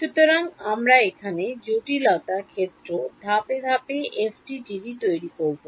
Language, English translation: Bengali, So, we are building the FDTD in complexity step by step